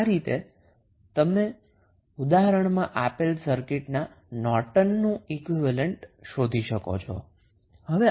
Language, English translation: Gujarati, So, in this way you can find out the Norton's equivalent of the circuit which was given in the example